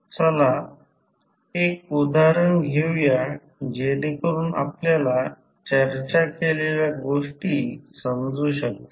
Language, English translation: Marathi, Let us, take one example so that you can understand what we have discussed